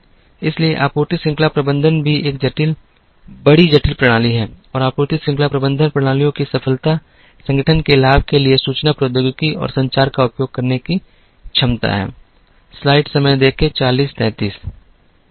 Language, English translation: Hindi, So, supply chain management also is a large complex system and the success of supply chain management systems are round the ability to use information technology and communication to the advantage of the organization